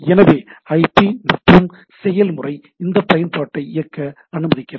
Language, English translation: Tamil, So, IP plus the process allows me to run that application